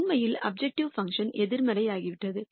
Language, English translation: Tamil, In fact, the objective function has become negative